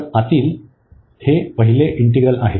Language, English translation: Marathi, So, this is the first integral the inner one